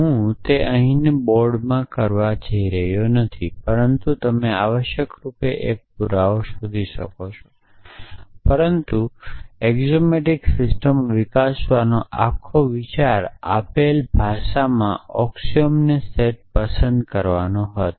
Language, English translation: Gujarati, So, I am not going to do it in the board here, but you can find a proof essentially, but the whole idea of developing axiomatic systems was to choose a set of axioms in the given language